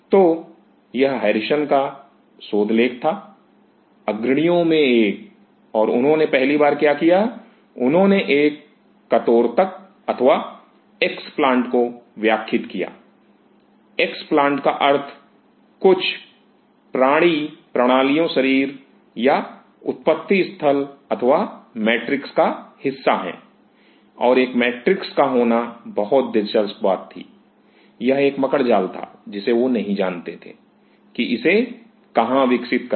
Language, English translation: Hindi, So, this was the paper from Harrison; one of the pioneers and what he did for the first time, he grew an explant; explant means part of some animal systems body or a matrix and a matrix was very interesting thing it was a spider net he did not know where to grow